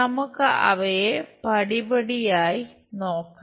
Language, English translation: Malayalam, Let us look at them step by step